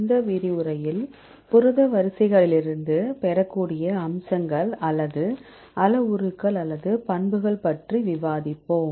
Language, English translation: Tamil, In this lecture, we will discuss about the features or the parameters or the properties which can be derived from protein sequences